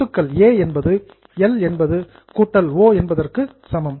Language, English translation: Tamil, Now you all know that A, that is asset, is equal to L plus O